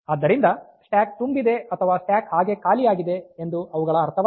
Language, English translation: Kannada, So, they do not mean that the stack is full or stack is empty like that